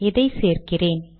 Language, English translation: Tamil, Let me add this